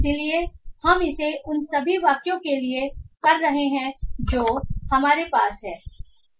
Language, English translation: Hindi, So we will be doing it for all of those sentences